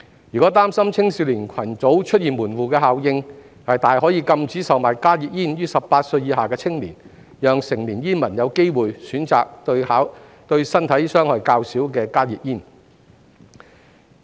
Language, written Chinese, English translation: Cantonese, 若擔心青少年群組出現門戶效應，大可禁止售買加熱煙予18歲以下的青年，讓成年煙民有機會選擇對身體傷害較少的加熱煙。, If it is worried about the emergence of a gateway effect among youngsters it may as well ban the sale of HTPs to young people under the age of 18 allowing adult smokers to choose HTPs which are less harmful to health